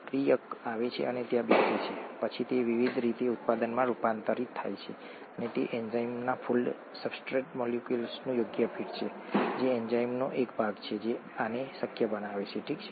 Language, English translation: Gujarati, The reactant comes and sits there and then it gets converted to a product by various different means and it is the appropriate fit of the substrate molecule to the fold in the enzyme, a part of the enzyme that makes this possible, okay